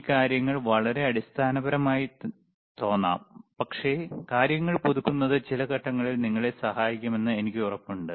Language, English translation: Malayalam, These all things may look extremely basic, but I am sure that you know learning every time again and again refreshing the things will help you at some point, right